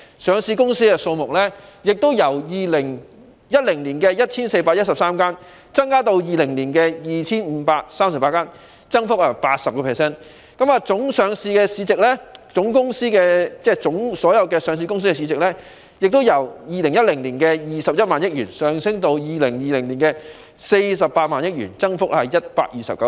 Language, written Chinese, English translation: Cantonese, 上市公司的數目亦由2010年的 1,413 間增至2020年的 2,538 間，增幅為 80%； 上市公司的總市值亦由2010年的21萬億元升至2020年的48萬億元，增幅為 129%。, The number of listed companies increased from 1 413 in 2010 to 2 538 in 2020 representing an 80 % increase; and the total market value of listed companies increased from 21 trillion in 2010 to 48 trillion in 2020 representing a 129 % increase